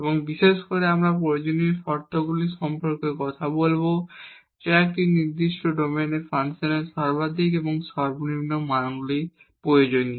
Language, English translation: Bengali, And in particular we will be talking about the necessary conditions that are required to find the maximum and minimum values of the function in a certain domain